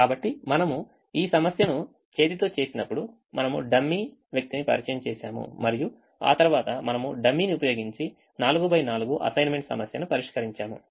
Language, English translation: Telugu, so when we did this problem by hand, we introduced a dummy, we introduced a dummy person and then we solved a four by four assignment problem using the dummy